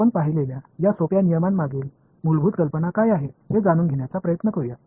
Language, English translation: Marathi, Let us try to find out what is the underlying idea behind these simple rules that we have seen